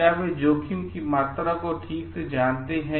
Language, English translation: Hindi, So, do they know the amount of risk properly